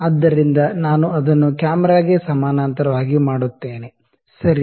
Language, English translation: Kannada, So, let me make it very parallel to the camera, ok